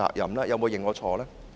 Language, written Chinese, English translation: Cantonese, 有沒有認錯呢？, Has it admitted its wrongdoings?